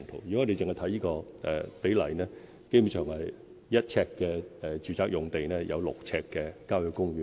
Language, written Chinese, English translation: Cantonese, 如果我們只看這個比例，基本上每1呎住宅用地就有6呎郊野公園。, Simply by looking at this proportion the ratio of residential land to country parks is basically 1col6